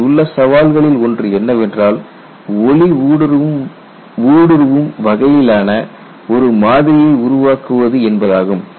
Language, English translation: Tamil, And one of the challengers in this is how to make a model which is transparent enough